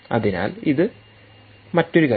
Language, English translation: Malayalam, so thats another thing